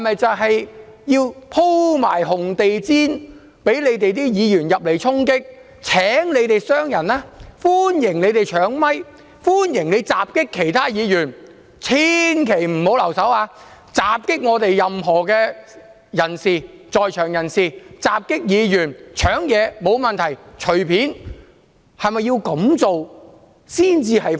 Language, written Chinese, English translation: Cantonese, 是否要鋪上紅地氈、讓反對派議員來衝擊、請他們傷害人、歡迎他們搶麥克風、歡迎他們襲擊其他議員、千萬不要留手，請襲擊任何在場人士或議員、即使搶東西也沒有問題，隨便去做。, They should roll out a red carpet for Members of the opposition camp to engage in physical confrontations and injure others these Members can do whatever they like such as snatching a microphone from somebody else attacking other Members or anyone present at the scene unrestrainedly or even taking away anything from anybody else